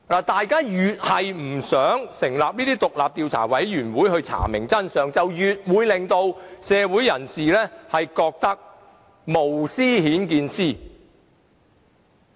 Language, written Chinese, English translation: Cantonese, 大家越不想成立獨立的調查委員會查明真相，便越會令社會人士覺得是無私顯見私。, The more reluctant Members are with regard to setting up an independent investigation committee to find out the truth the more convinced people are about something fishy going on